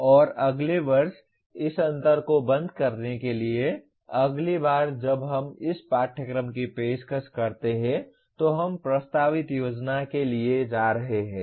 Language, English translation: Hindi, And to close this gap next year/next time we offer this course, we are going to the proposed plan is this